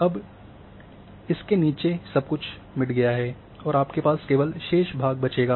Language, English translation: Hindi, Now, below this everything is gone and only you are having now and the remaining part